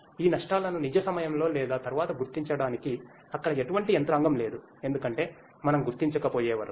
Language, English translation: Telugu, And there is no mechanism over there to basically detect these losses in real time or and then, because until unless we detect